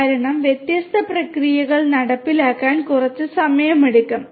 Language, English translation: Malayalam, Because execution of different processes will take some time